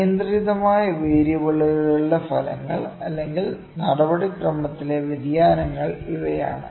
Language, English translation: Malayalam, These are the effects of uncontrolled variables, ok, or the variations in the procedure